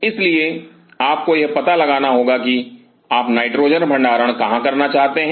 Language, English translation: Hindi, So, you have to figure out where you want to put the nitrogen storage